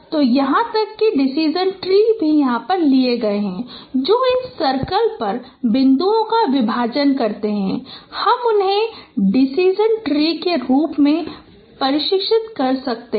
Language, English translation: Hindi, So there are even for the decision trees that partitioning of points on the circle and you can train them in that as a decision tree